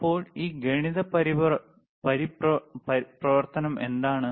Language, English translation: Malayalam, So, what is this mathematics function